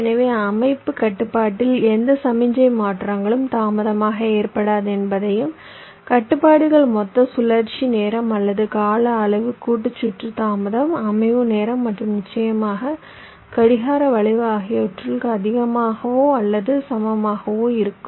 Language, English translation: Tamil, in the setup constraint, we ensured that no signal transitions occurs too late, and the constraints are: the total cycle time, or the time period must be greater than equal to the combinational circuit delay, the setup time and, of course, the clock skew, if any